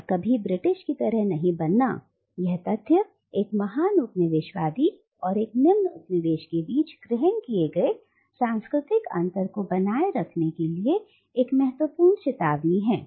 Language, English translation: Hindi, And that never really like the British, that caveat is important to maintain the assumed cultural gap between a superior coloniser and an inferior colonised